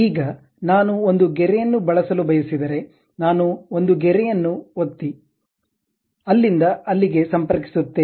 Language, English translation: Kannada, Now, if I would like to use a line, I just click a line, connect from there to there